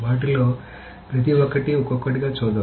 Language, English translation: Telugu, So, let us go over each one of them one by one